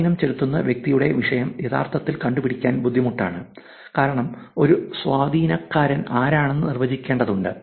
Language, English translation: Malayalam, Of course, the topic of influencer by itself is actually hard because you are defining who an influencer is; it is becoming more and more difficult